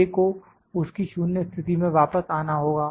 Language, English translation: Hindi, A has to come back to its 0 position